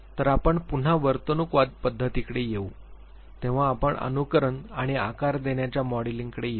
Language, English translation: Marathi, When we come to the behaviorist approach there again we will be coming to imitation and shaping modeling